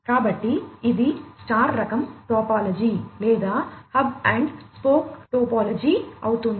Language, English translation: Telugu, So, this becomes a star kind of topology or a hub and spoke topology